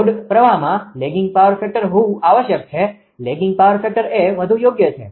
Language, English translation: Gujarati, The load current must have a lagging power factor right; lagging power factor is preferable right